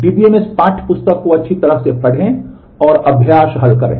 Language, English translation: Hindi, Read the DBMS textbook thoroughly and solve exercises